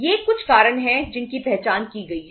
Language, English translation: Hindi, These are some reasons which have been identified